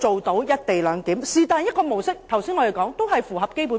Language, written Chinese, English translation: Cantonese, 我剛才列舉的任何一種模式都符合《基本法》。, All the models I cited earlier comply with the Basic Law